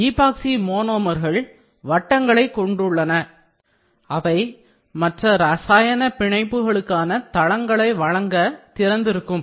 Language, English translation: Tamil, Epoxy monomers have rings which, when reacted open to provide sites for other chemical bonds